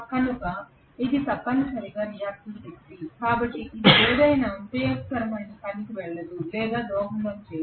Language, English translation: Telugu, So that is essentially the reactive power, so it does not go or contribute towards any useful work